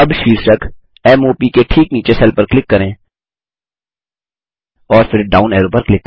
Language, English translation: Hindi, Now click on the cell just below the heading M O P and then click on the down arrow